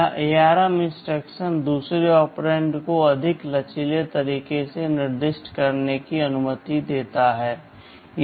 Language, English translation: Hindi, This ARM instruction allows the second operand to be specified in more flexible ways